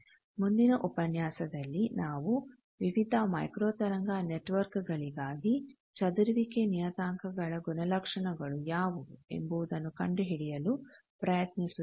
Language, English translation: Kannada, In the next lecture, we will try to find out how what are the properties of the scattering parameters for various microwave networks